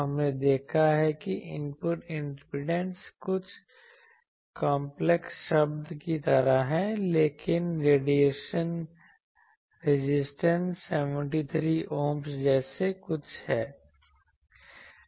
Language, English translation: Hindi, We have seen the input impedance is something like some complex term, but the radiation resistance is something like 73 Ohms so near about that etc